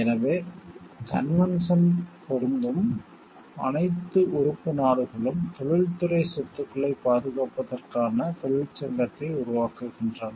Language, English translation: Tamil, So, all the member countries to which the convention applies constitute union for protecting the industrial property